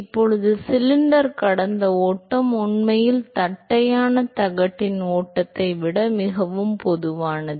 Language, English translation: Tamil, Now, flow past cylinder is actually much more common than flow past of flat plate